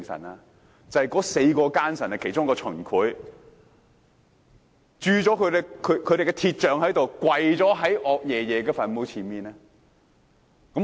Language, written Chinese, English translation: Cantonese, 意思是有4個奸臣，其中一人是秦檜，被人以白鐵鑄了雕像跪在岳爺爺墳前。, That means cast white iron figurines of four traitors one of them is QIN Kuai have their bodies fallen upon their knees in front of the grave of YUE Fei . Let us imagine this